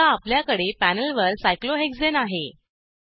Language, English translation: Marathi, We now have cyclohexene on the panel